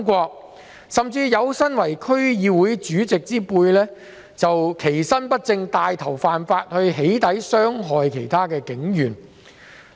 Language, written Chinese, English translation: Cantonese, 更甚的是，有身為區議會主席之輩，其身不正，帶頭犯法"起底"來傷害警員。, Worse still some DC Chairmen have taken the lead in breaking the law and hurting police officers by doxxing them